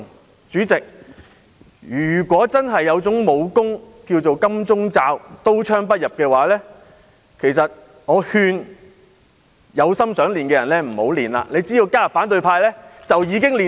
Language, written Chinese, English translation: Cantonese, 代理主席，如果真的有種名為"金鐘罩"、可以刀槍不入的武功，我奉勸有意修練的人不要練功，只要加入反對派便可以一天練成。, Even political suppression has also been abused . Deputy President if there is indeed a kind of martial arts skill called golden shield which can make someone invulnerable I would advise people who intend to practise such a skill not to do so . They can pick up the skill in one day as long as they join the opposition camp